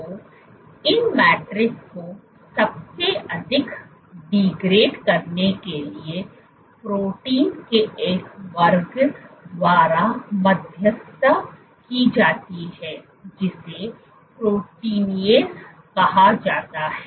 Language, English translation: Hindi, So, the degrading these matrixes, some of the most, so you have these degrading matrices are mediated by class of proteins called proteinases